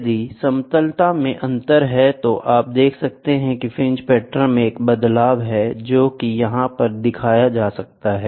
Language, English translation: Hindi, If there is a difference in flatness, then you can see there is a shift in the fringe patterns which is done